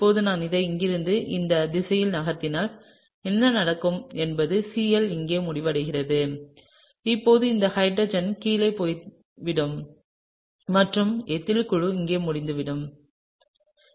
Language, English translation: Tamil, And now if I move this from here in this direction, right, what will happen is that the Cl ends up here and now this hydrogen has gone down and the ethyl group is over here, okay